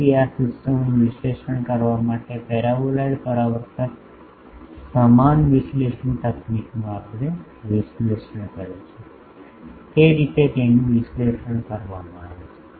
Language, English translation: Gujarati, So, they are analysed the way we have analysed the paraboloid reflector same analysis technique can be used here to analyse this systems